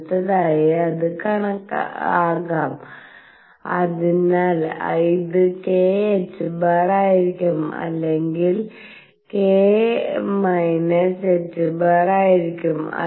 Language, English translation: Malayalam, Next it could be, so this will be k h cross or it will be k minus h cross